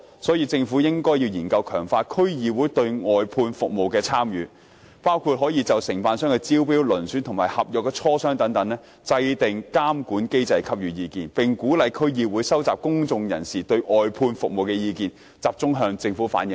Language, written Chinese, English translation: Cantonese, 所以，政府應研究強化區議會在外判服務方面的參與，包括就承辦商的招標、遴選及磋商合約等制訂監管機制給予意見，並鼓勵區議會收集公眾對外判服務的意見，集中向政府反映。, Therefore the Government should study enhancing the participation of DCs in outsourced services including advising on the establishment of a supervisory mechanism for the tenders for and selection of contractors negotiating contracts and so on and encouraging DCs to collect public views on outsourced services and relay them collectively to the Government